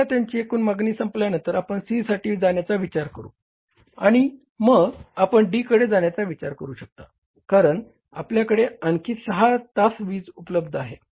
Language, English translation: Marathi, Once their total demand is over, then you will think of going for C and then you will think of going for D because power is available for lesser for 6 hours